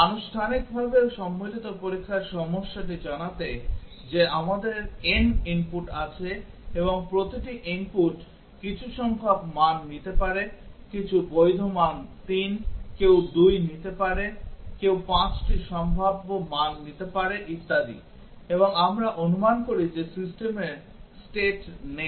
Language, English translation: Bengali, To formally state the combinatorial testing problem that we have n inputs and each input can take some number of values, some valid values 3, some can take 2, some can take 5 possible values and so on and we assume that the system does not have state